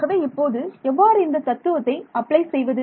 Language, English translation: Tamil, So, how will apply this principle here